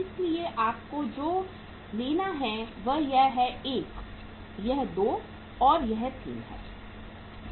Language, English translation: Hindi, So what you have to take is this is 1, this is 2, and this is 3